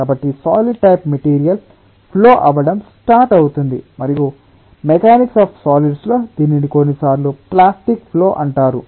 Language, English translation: Telugu, so a solid ah type of material will start flowing, and in in mechanics of solids it is sometimes known as plastic flow